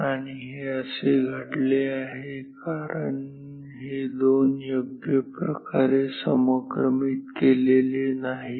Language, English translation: Marathi, And, this has happened, because this 2 are not properly synchronized